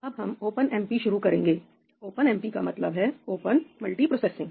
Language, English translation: Hindi, We will start with OpenMP now; OpenMP stands for Open Multi processing